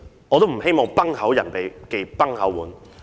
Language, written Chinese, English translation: Cantonese, 我都不希望"崩口人忌崩口碗"。, I really do not want to touch someone on the raw